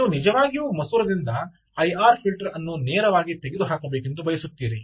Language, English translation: Kannada, so you actually want the system to have a motor remove the i r filter from the lens directly